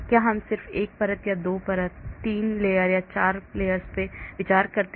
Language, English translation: Hindi, Do I just consider 1 layer or 2 layers or 3 layers or 4 layers